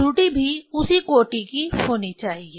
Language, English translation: Hindi, Error has to be also of same order